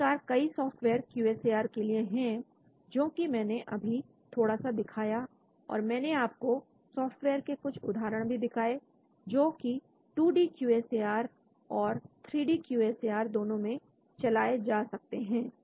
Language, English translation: Hindi, So there are many softwares for QSAR, which I just briefly showed and I also showed you some examples of softwares, which can be run for both 2D QSAR as well as for 3D QSAR